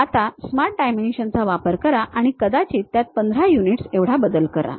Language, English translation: Marathi, Now, use Smart Dimensions maybe change it to 15 units